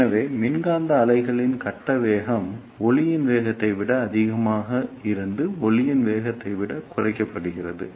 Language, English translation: Tamil, So, this is how the phase velocity of electromagnetic wave is reduced from greater than velocity of light to less than velocity of light